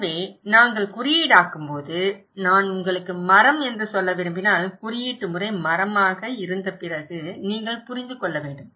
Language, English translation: Tamil, So, when we are codifying, if I want to say you tree, you should understand after the coding is as tree, okay